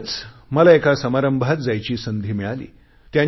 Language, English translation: Marathi, Yesterday I got the opportunity to be part of a function